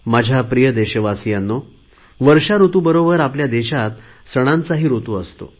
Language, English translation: Marathi, My dear countrymen, with the onset of rainy season, there is also an onset of festival season in our country